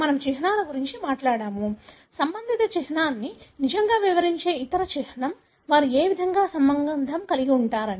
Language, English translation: Telugu, We spoke about the symbols, other symbol that really explains the relatedness; in what way they are related